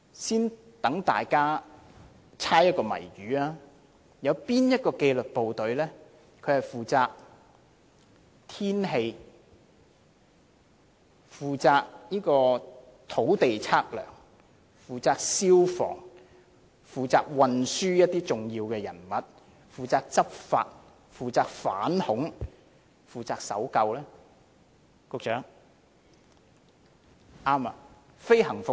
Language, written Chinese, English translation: Cantonese, 先讓大家猜謎語，哪個紀律部隊與天氣有關，負責土地測量、消防、護送一些重要人物、執法、反恐和搜救工作，局長？, Which disciplinary force has its duties related to weather and is responsible for land survey fire safety escorting of important people law enforcement counter - terrorism searching and rescuing work? . Secretary?